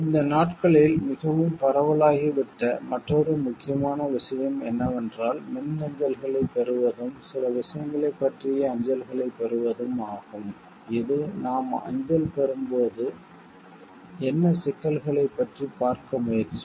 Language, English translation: Tamil, Another important thing which has become like very rampant these days is that of receiving emails and receiving mails about certain things, which will try to see like what about what issues that we receive mail